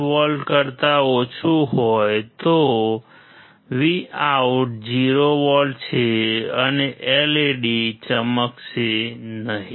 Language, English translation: Gujarati, 5V, Vout is 0V and LED will not glow